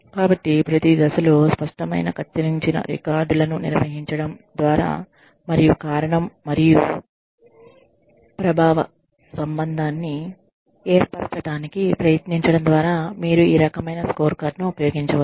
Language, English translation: Telugu, So, this is how, you can use the, any type of scorecard, by maintaining clear cut records at every stage, and trying to establish a cause and effect relationship